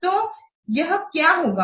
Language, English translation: Hindi, So this can be measured